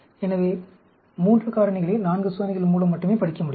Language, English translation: Tamil, So, 3 factors can be studied with only 4 experiments